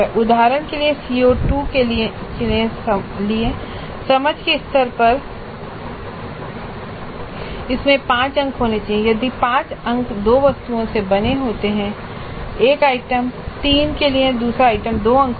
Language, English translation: Hindi, So for CO2 for example at understand level it is to have 5 marks and these 5 marks are made from 2 items, one item for 3 marks, another item for 2 marks